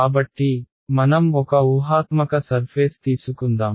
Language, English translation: Telugu, So, let us take a hypothetical surface